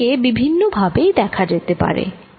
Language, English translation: Bengali, i can look at it in many different ways